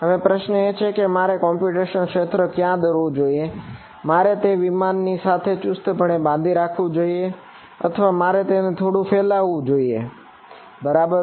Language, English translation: Gujarati, Now the question is where should I draw my computational domain should I just make it tightly fitting with the aircraft or should I expand it a bit right